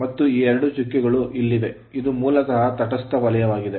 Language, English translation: Kannada, And these two dots are here, this is basically the neutral zone right